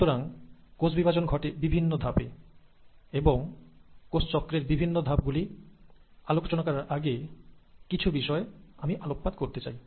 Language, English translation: Bengali, So cell cycle consists of multiple steps and before I get into the different steps of cell cycle, I just want you to ponder over a few things